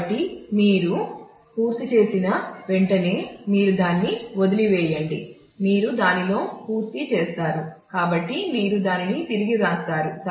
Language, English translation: Telugu, So, as soon as you are done you just throw it out you are you are done with it so you write it back